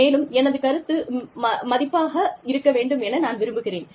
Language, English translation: Tamil, And, i want my opinion, to be valued